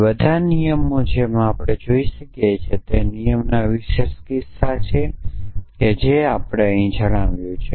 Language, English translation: Gujarati, So, all these rules as we can see are special cases of the resolution rule that we have stated here